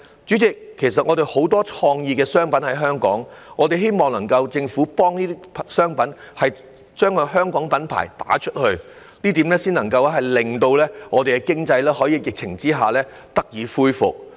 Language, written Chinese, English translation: Cantonese, 主席，其實香港有很多創意商品，我們希望政府能夠提供協助，為香港品牌拓展海外市場，這樣才能令本港經濟在疫情下得以恢復。, President there are actually many creative products in Hong Kong . We hope that the Government can assist in exploring overseas markets for Hong Kong brands so that the local economy can revive under the epidemic